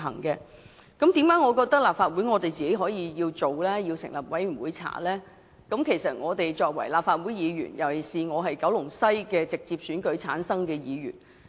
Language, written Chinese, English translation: Cantonese, 我認為立法會應自行成立專責委員會調查，是因為我是立法會議員，特別是九龍西的直選議員。, I think the Legislative Council should set up a select committee to conduct its own investigation because I am a Member of the Legislative Council in particular a directly elected Member from Kowloon West